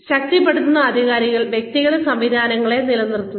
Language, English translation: Malayalam, Reinforcing authorities evaluate personnel systems